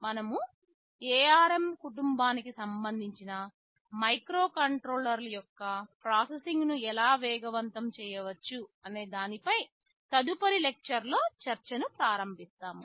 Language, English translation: Telugu, In the next lecture we shall be starting some discussion on how we can make processing faster with particular regard to the ARM family of microcontrollers